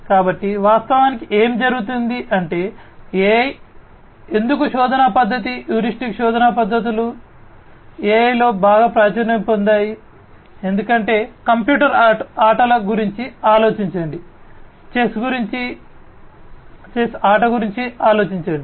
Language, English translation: Telugu, So, actually what happens is why the you know AI is you know why the search method heuristic search methods are very popular in AI is, because think about computer games, things about chess the game of chess, etcetera